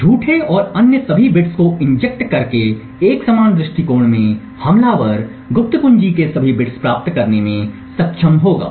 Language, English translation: Hindi, In a similar approach by injecting false and all other bits the attacker would be able to obtain all the bits of the secret key